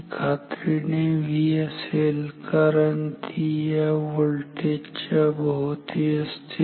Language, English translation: Marathi, So, this will be definitely V because it is deductly across this voltage